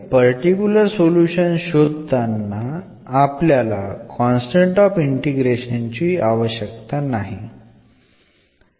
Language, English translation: Malayalam, So, while finding the particular solution, we do not want this constant of integration also